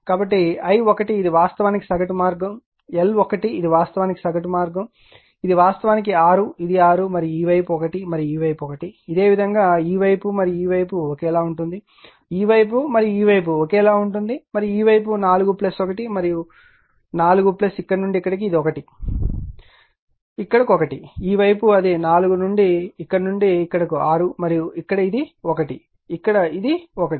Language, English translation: Telugu, this is actually 6, this is 6 right and this side is 1 and this side is 1, this similarly this side and this side identical right, this side and this side identical and this side 4 plus 1 and your 4 plus your what to call from here to here, it is 1 you get here 1 right, this side it is there yours 4 your what you call this from here to here it is 6 and here it is 1, here it is 1 right